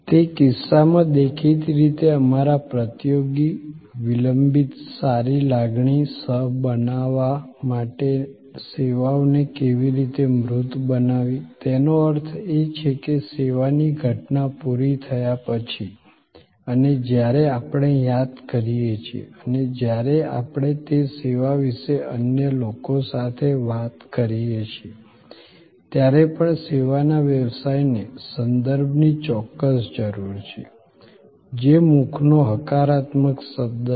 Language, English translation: Gujarati, In that case; obviously our challengers how to tangibles services to co create lingering good feeling; that means, we can continue to feel good, even after the service event is over and when we recall and when we talk to others about that service, the service business absolutely needs that referral; that positive word of mouth